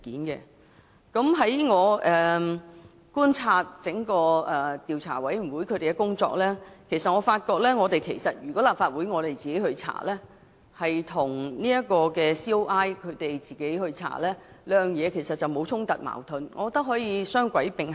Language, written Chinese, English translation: Cantonese, 經過觀察調查委員會的工作後，我認為即使立法會自行展開調查，也不會與調查委員會的調查工作產生衝突或矛盾，可以雙軌並行。, After observing the work of the Commission of Inquiry I held that even if the Legislative Council conducted its own investigation it would not clash or contradict with the work of the Commission of Inquiry and the two investigations could be conducted in parallel